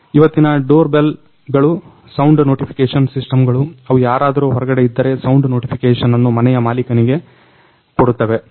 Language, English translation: Kannada, The present day doorbells are sound notification system which will give a sound notification to the owner of the house if somebody is outside